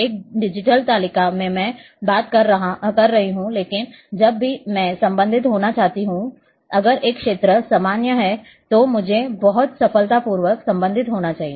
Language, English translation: Hindi, In an in digital table I am talking, but whenever I want to relate if one field is common I should be able to relate very successfully